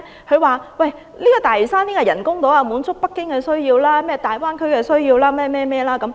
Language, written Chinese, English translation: Cantonese, 他說東大嶼人工島是為滿足北京和粵港澳大灣區的需要而設。, He said that the reclamation of East Lantau artificial islands was to satisfy the needs of Beijing and the Guangdong - Hong Kong - Macao Greater Bay Area